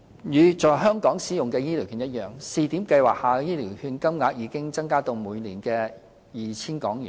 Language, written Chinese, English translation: Cantonese, 與在香港使用的醫療券一樣，試點計劃下的醫療券金額已增加至每年 2,000 港元。, Similar to the use of HCV in Hong Kong the annual voucher amount under the pilot scheme has been increased to 2,000